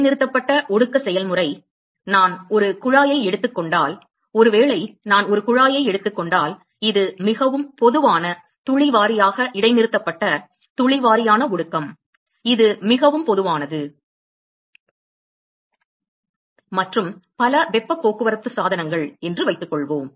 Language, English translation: Tamil, Suspended condensation process; so suppose if I take a tube suppose if I take a tube this is a fairly common drop wise suspended drop wise condensation it is fairly common and several heat transport equipments